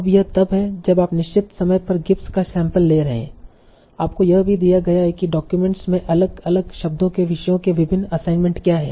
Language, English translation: Hindi, Now, this is when you are doing GIP sampling, at certain point of time, you are given what will are the different assignments of topics to different words in the document